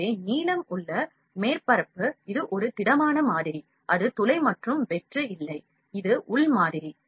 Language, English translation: Tamil, So, blue is the upper surface inside, it is a solid model, it is in hole and is not hollow from inside; this is the inside model